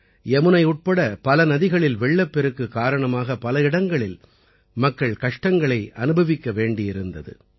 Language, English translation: Tamil, Owing to flooding in many rivers including the Yamuna, people in many areas have had to suffer